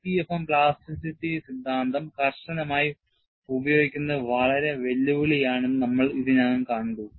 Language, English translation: Malayalam, We have already seen, utilizing plasticity theory in a rigorous manner for EPFM, is going to be very challenging